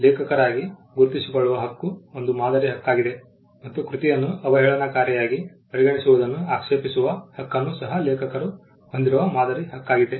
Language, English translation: Kannada, The right to be recognized as the author is a model right and also the right to object to derogatory treatment of the work is again a model right that vests with the author